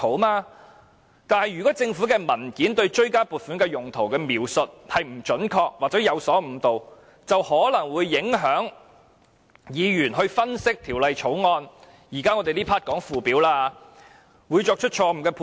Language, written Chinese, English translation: Cantonese, 但是，要是政府文件對追加撥款的原因描述得不準確或有所誤導，便可能會影響議員對條例草案的分析——這環節討論的是附表——因而作出錯誤的判斷。, However inaccurate or misleading reasons for the supplementary appropriations given in government documents may affect Members analysis of the Bills―we are discussing the Schedule in this session―and lead them to make incorrect judgments